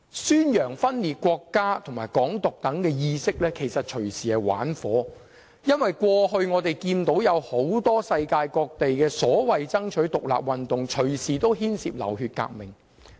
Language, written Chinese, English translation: Cantonese, 宣揚分裂國家和"港獨"等意識，其實隨時是在玩火，因為我們看到世界各地過去很多所謂爭取獨立的運動，隨時牽涉流血革命。, The propagation of secession and Hong Kong independence is actually playing with fire because many so - called independence movements around the world ended in bloodshed